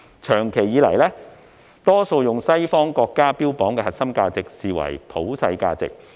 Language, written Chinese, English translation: Cantonese, 長久以來，我們很多時候會把西方國家標榜的核心價值視為普世價值。, For a long time we have often regarded the core values upheld by Western countries as universal values